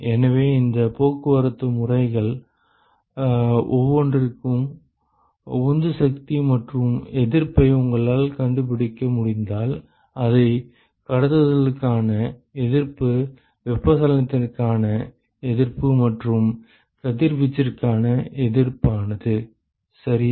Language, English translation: Tamil, So, if you are able to find out the driving force and resistances for each of these mode of transport, then we could represent it as resistance for conduction, resistance for convection and resistance for radiation ok